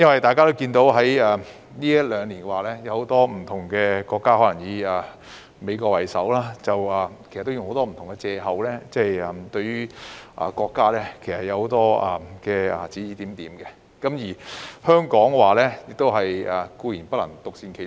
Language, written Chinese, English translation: Cantonese, 大家也看到，近兩年很多國家以美國為首，用種種不同的藉口對國家指指點點，而香港亦固然不能獨善其身。, As we can see many countries led by the United States have made indiscreet remarks about China on various pretexts in the past two years and Hong Kong certainly could not be spared